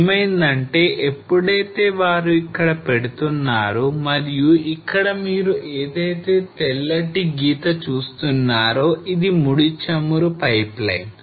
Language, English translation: Telugu, So what happen was when they were putting and this what you see here a white line is a crude oil pipeline